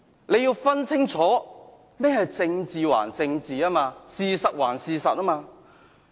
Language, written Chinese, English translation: Cantonese, 他要分清楚，政治歸政治，事實歸事實。, He has to make it clear that politics and facts are two separate issues